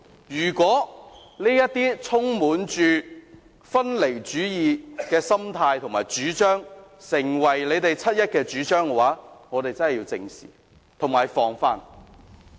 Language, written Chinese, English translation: Cantonese, 如果分離主義的心態和主張成為他們七一遊行的主張，我們便真的要正視和防範。, If what they advocate through the 1 July march are separatist ideas based on a separatist mentality we should really face up to and guard against these ideas